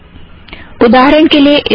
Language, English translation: Hindi, For example in this reference